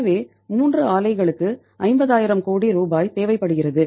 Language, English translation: Tamil, So 3 plants require 50000 crores of rupees